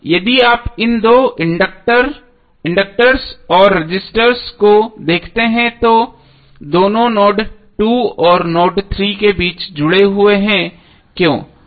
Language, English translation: Hindi, Now if you see this two inductors and resistors both are connected between node 2 and node3, why